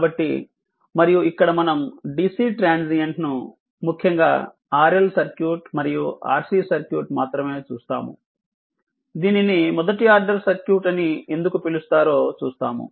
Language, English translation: Telugu, So, and here we will see the dc transient particularly the your ah R L circuit and R C circuit ah only the we will see that why it is called first order circuit also